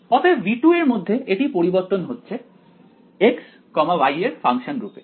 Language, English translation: Bengali, So, within V 2 this is varying as a function of x y